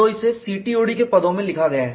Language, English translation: Hindi, So, it is written in terms of the CTOD